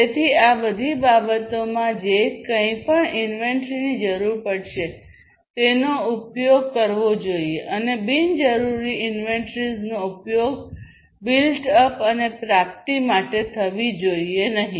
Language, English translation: Gujarati, So, all of these things whatever inventory would be required should be used, and not unnecessary inventories should be used built up and procured